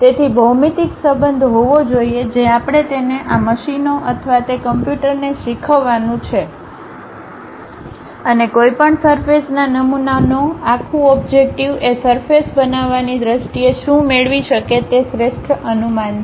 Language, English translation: Gujarati, So, there should be a geometric relation we have to teach it to these machines or to that computer and whole objective of any surface model is the best approximation what one can get in terms of constructing a surface